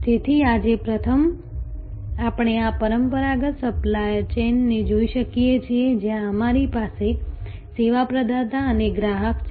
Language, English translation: Gujarati, So, today first we can look at this traditional supply chain, where we have a service provider and a customer